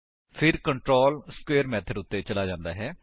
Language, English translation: Punjabi, So the control jumps to the square method